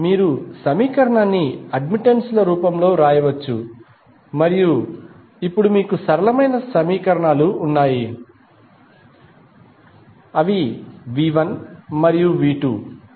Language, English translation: Telugu, You can simply write the equation in the form of admittances and the now you have simpler equations you can solve it for unknown variables which are V 1 and V 2